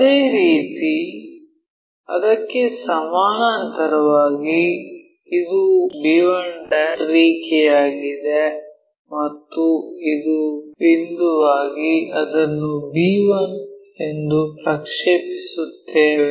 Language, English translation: Kannada, Similarly, parallel to that here this is our b 1' line and this is point by point we will project it b 1